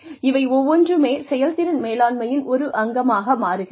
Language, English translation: Tamil, Everything is, becomes a part of the performance management